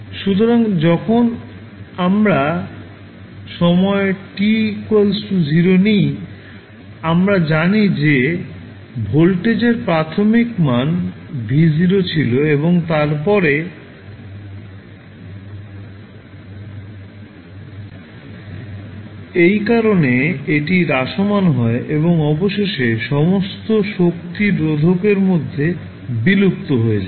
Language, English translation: Bengali, So, when you it is decaying, when we take the time t is equal to 0, we know that the initial value of voltage was V Naught and then after that, because of this factor it is decaying, and eventually all energy would be dissipated in the resistor